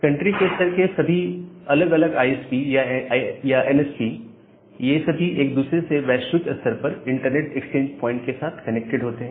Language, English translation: Hindi, So, all the different national level ISPs or the NSPs they connected with each other globally with this network exchange points